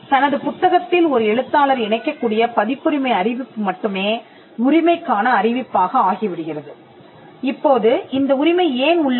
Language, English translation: Tamil, A copyright notice which an author can put in his or her book qualifies as a notice of copyright or notice of ownership